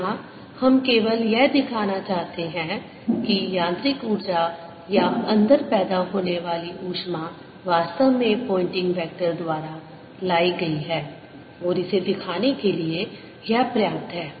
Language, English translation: Hindi, we just want to show that the mechanical energy or the heat that is being produced inside is actually brought in by pointing vector, and this is sufficient to show that